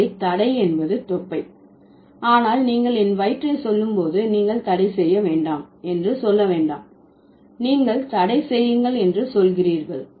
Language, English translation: Tamil, So, ban is belly, but when you say my belly, you don't say nay, ban, or rather you say ban, you are deleting the prefix